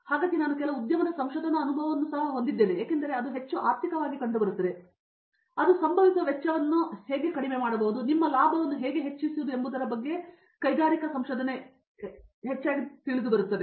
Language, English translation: Kannada, So, because even I have some amount of industry research experience where it is more as it find out it is more economically like either there is a just to cut down the cost that is happens or how to increase your profits